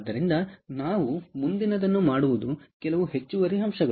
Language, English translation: Kannada, clear, so what we will do next is some additional points